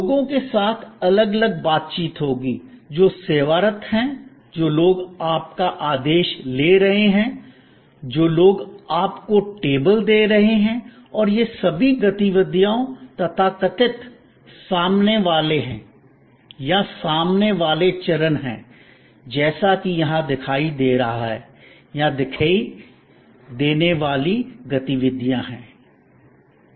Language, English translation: Hindi, There will be different interactions with the people, who are serving, people who are taking your order, people who are assuring you to the table and all these activities are the so called front facing or front stage as it is showing here or visible activities